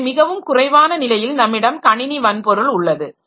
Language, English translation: Tamil, So, at the lowest level we have got the computer hardware